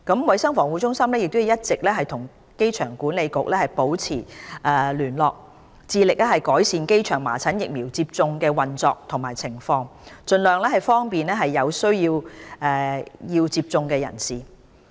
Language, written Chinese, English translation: Cantonese, 衞生防護中心一直與香港機場管理局保持緊密聯絡，致力改善機場麻疹疫苗接種站的運作和情況，盡量方便有需要接種疫苗的人士。, CHP has all along been maintaining close liaison with the Airport Authority Hong Kong AA in order to improve the operation and arrangements of the measles vaccination stations at the airport to facilitate those who need to receive vaccination